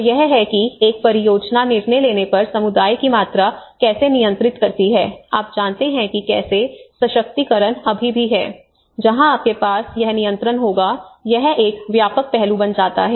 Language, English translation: Hindi, So that is how the amount of community control over a project decision making you know that is how empowerment still that is where you will have this the control becomes a wide aspect into it